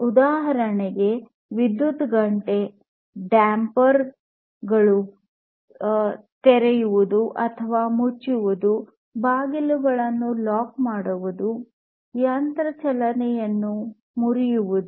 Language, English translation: Kannada, So, electric bell opening and closing of dampers, locking doors, breaking machine motions and so on